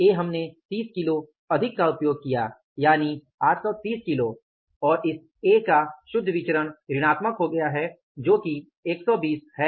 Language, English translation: Hindi, We have actually used 30 more cages, that is 830 kgs and the net variance of this A has become negative that is by 120